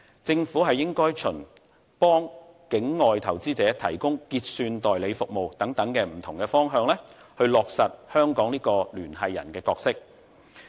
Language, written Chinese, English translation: Cantonese, 政府應該循為境外投資者提供結算代理服務等不同的方向，去落實香港的聯繫人角色。, The Government should fulfil its role as a connector by providing clearing agency services and so on for off - shore investors